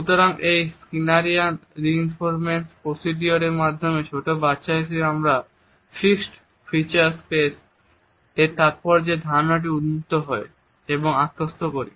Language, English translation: Bengali, So, it is through this Skinnerian reinforcement procedure to which as young children all of us are exposed to our understanding of the significance of fixed feature space is internalized